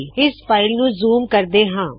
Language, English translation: Punjabi, Let us also zoom it